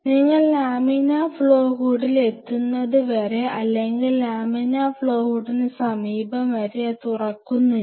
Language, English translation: Malayalam, Till you reach on the laminar flow hood or just close to the laminar flow hood, you do not open it